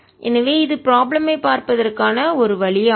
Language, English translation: Tamil, so this is one way of looking at the problem